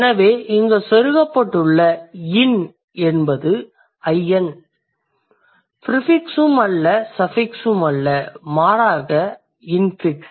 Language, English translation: Tamil, So, in here is not really a prefix, it is also not a suffix, rather it is an infix